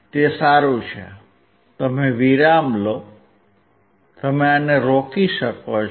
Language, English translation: Gujarati, That is fine; you take your break; you can stop this